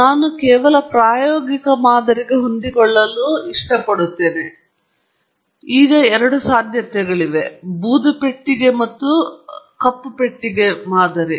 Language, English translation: Kannada, I will choose to fit an empirical model, and then, there are two possibilities: a gray box and a black box model